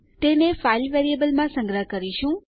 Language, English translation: Gujarati, And well store it in the file variable